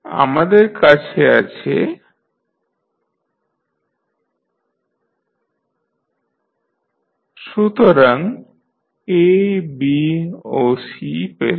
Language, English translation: Bengali, So, now you have got A, B and C